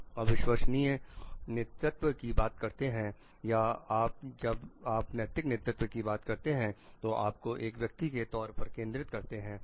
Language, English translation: Hindi, When you are talking of authentic leadership when you are talking or leadership when you are talking of ethical leadership these focuses and you as the person